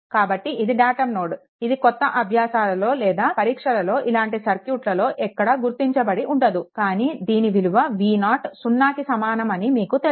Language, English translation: Telugu, So, this is your datum node, it it will in that new assignments or exam whatever you get this thing will not be mark, but you know that it it is v 0 is equal to 0